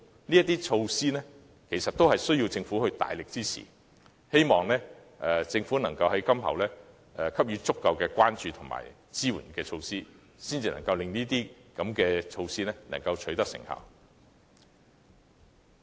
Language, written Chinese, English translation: Cantonese, 上述措施也需要政府大力支持，希望政府今後可以給予足夠關注和支援，令相關措施取得成效。, The above measures also need huge support from the Government . I hope the Government can give adequate attention and support from now on so that the relevant measures can be effective in achieving desired results